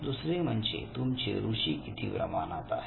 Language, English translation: Marathi, Second how interested are you